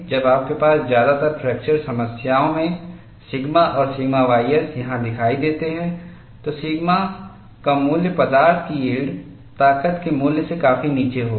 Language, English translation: Hindi, When you have sigma and sigma ys appearing here in most of the fracture problems, the value of sigma will be far below the value of yield strength of the material